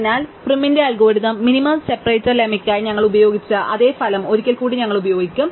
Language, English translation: Malayalam, So, once again we will use the same result that we used for prim's algorithm, this minimum separator lemma